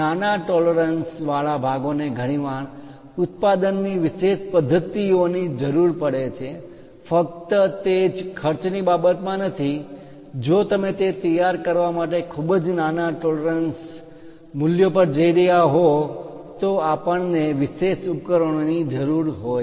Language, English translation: Gujarati, Parts with smaller tolerances often require special methods of manufacturing, its not only about cost if you are going for very small tolerance values to prepare that itself we require special equipment